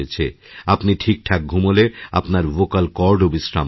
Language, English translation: Bengali, Only when you get adequate sleep, your vocal chords will be able to rest fully